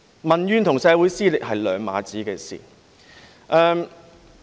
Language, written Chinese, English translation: Cantonese, 民怨與社會撕裂是兩碼子的事。, Public grievances and social rifts are two different matters